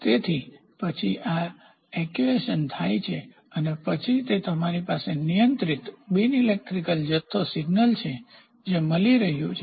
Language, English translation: Gujarati, So, then this actuation happens and then you have a controlled non electrical quantity signal, which is coming out